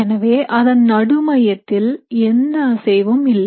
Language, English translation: Tamil, So at the center point, you essentially have no movement